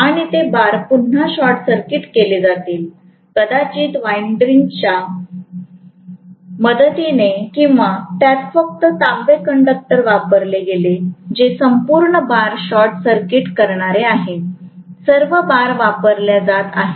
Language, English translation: Marathi, And those bars are again going to be short circuited, maybe with the help of endearing or it simply put copper conductor, which is going to short circuit the complete bars, all the bars which are being used